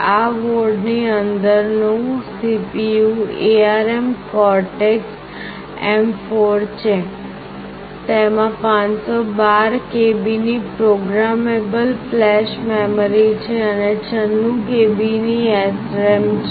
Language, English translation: Gujarati, The CPU inside this particular board is ARM Cortex M4; it has got 512 KB of flash memory that is programmable and 96 KB of SRAM